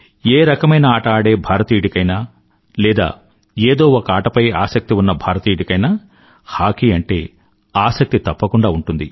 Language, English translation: Telugu, Each Indian who plays any game or has interest in any game has a definite interest in Hockey